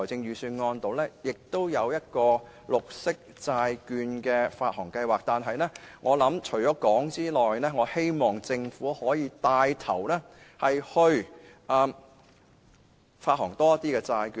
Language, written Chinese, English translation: Cantonese, 預算案亦提出綠色債券發行計劃，但除此之外，我希望政府可以牽頭發行更多債券。, The Budget also introduces a green bond issuance programme . But on top of that I hope the Government can take the initiative to issue more bonds